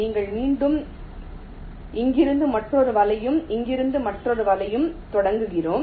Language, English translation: Tamil, we again start another net from here and another net from here